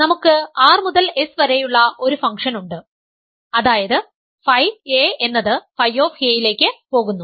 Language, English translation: Malayalam, We have a function from R to S, namely phi a goes to phi of a